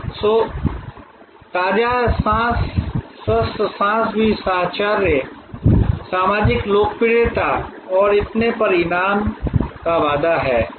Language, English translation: Hindi, So, the fresh breath, clean breath is also a promise for a reward of companionship, social popularity and so on